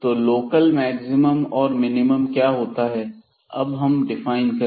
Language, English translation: Hindi, So, what is local maximum and minimum we will define here